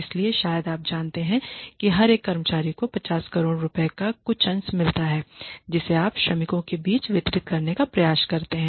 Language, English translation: Hindi, So, maybe you know every single employee gets some fraction of that 50 crore profit that you are trying to distribute among the workers